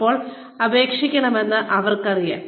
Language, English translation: Malayalam, They know, when to apply